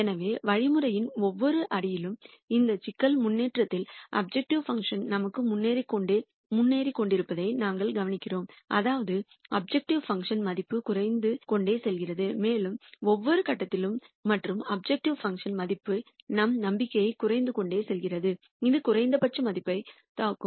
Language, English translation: Tamil, So, we notice that at every step of the algorithm the objective function keeps improving for us here in this problem improvement means the objective function value keeps coming down and since at every point and the objective function value keeps coming down our hope is at some point it will hit the minimum value